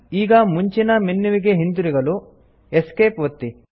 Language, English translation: Kannada, Let us now press Esc to return to the previous menu